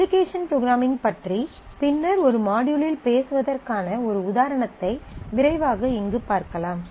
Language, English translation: Tamil, So, yeah I am just quickly showing you an example we will talk about application programming mode in a in a later module